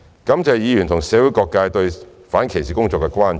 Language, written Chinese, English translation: Cantonese, 感謝議員和社會各界對反歧視工作的關注。, I thank Members and the community for their concerns over the anti - discrimination efforts